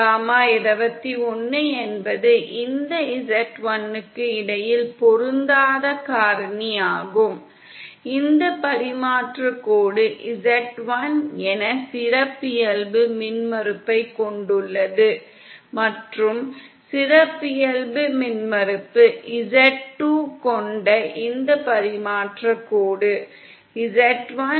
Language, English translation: Tamil, And gamma21 is simply the mismatch factor between this z1, this transmission line having characteristic impedance as z1 & this transmission line having characteristic impedance z2